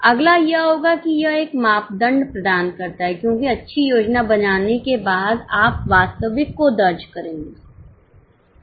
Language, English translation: Hindi, Next one will be, it provides the yardstick because having done the good planning, you will record the actuals